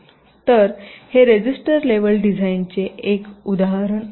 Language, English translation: Marathi, ok, so this is an example of a register level design